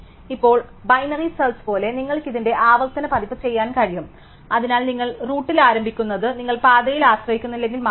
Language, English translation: Malayalam, Now, like binary search you can do iterative version of this, so you start at the root and then so long as it is not nil you trust on the path